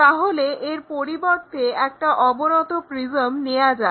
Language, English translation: Bengali, So, instead of having this one let us have a inclined prism